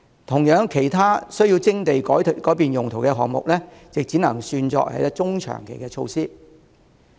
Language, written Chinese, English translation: Cantonese, 同樣道理，其他需要徵地改用途的項目，亦只能算作中長期措施。, The same applies to other options that require land resumption and rezoning which can only be taken as medium - to - long - term measures